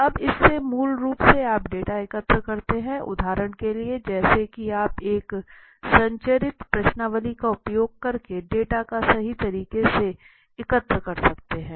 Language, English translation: Hindi, So now how do you collect the data in a descriptive research basically for example as you can see a structured questionnaire is used in many cases to collect the data right